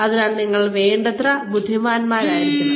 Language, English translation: Malayalam, So, you need to be intelligent enough